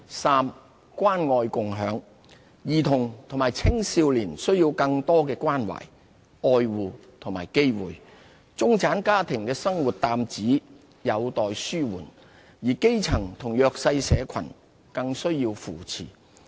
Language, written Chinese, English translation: Cantonese, 三關愛共享。兒童和青少年需要更多的關懷、愛護和機會；中產家庭的生活擔子有待紓緩，而基層和弱勢社群更需要扶持。, 3 Caring and sharing children and young people should be given more care protection and opportunities; middle - class families need relief from financial burdens while the grassroots and underprivileged require more support